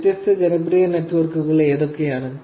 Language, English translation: Malayalam, What are the different popular networks